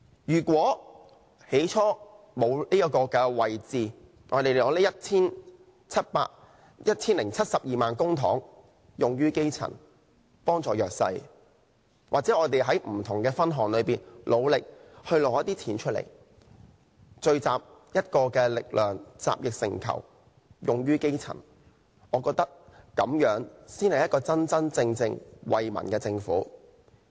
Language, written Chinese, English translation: Cantonese, 如果沒有這職位，我們可把這 1,072 萬元公帑用於基層，幫助弱勢社群；又或我們在不同的分項支出上努力爭取削減一些金額，聚集力量，集腋成裘，用於基層，我覺得這樣才是一個真正為民的政府。, Without this post the 10.72 million of public funds can be spent on the grass roots and helping the disadvantaged . We may also strive to campaign for slashing certain amounts of expenditure under various subheads . As the saying goes many drops of water make an ocean